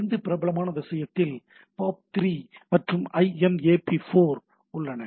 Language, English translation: Tamil, So, two popular thing has POP3, and IMAP4